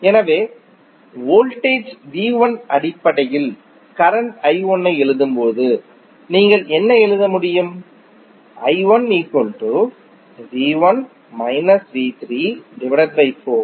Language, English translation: Tamil, So, when you write current i 1 in terms of the voltages V 1 what you can write